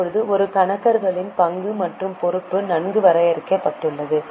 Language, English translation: Tamil, Now the role and responsibility of accountant has been quite well defined